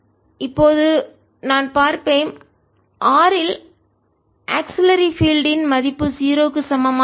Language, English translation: Tamil, ok, so now i will see what is the value for the auxiliary field h at r not equal to zero